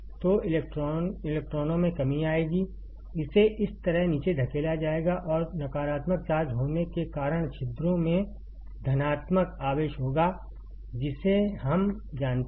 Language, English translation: Hindi, So, electrons will come down, it will be pushed down like this and because of a negative charge is there holes will have positive charge that we know